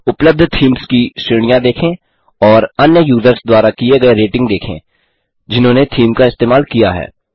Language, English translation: Hindi, Here you can preview the theme, see the categories of themes available and see the ratings given by other users who have used the theme